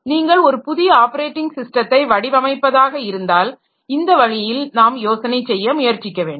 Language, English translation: Tamil, And if you are designing a new operating system, then all then also we should try to think in that line